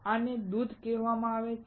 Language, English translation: Gujarati, This is called milk